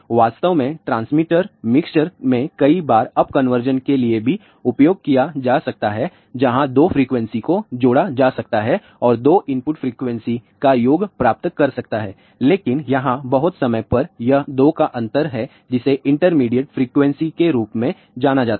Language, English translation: Hindi, In fact, many a times in the transmitter mixer may be used for up conversion also where the 2 frequencies may be added and get the sum of the 2 input frequencies, but over here majority of that time it is the difference of the 2 which is known as if intermediate frequency